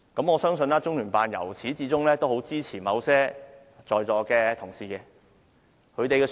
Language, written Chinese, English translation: Cantonese, 我相信中聯辦由始至終也很支持在座某些議員。, I believe LOCPG has all along been very supportive of some Members who are now in the Chamber